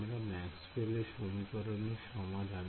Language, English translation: Bengali, Now we know that the solution to Maxwell’s equation